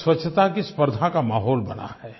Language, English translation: Hindi, In this manner an atmosphere of competition for cleanliness has been created